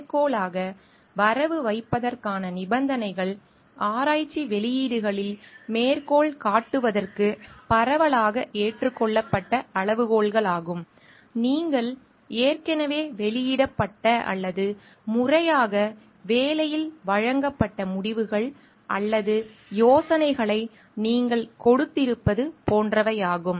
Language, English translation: Tamil, The conditions for crediting as a citation are widely accepted criteria for citation in research publications are: in case you drew results or ideas that already appeared in previously published or formally presented in work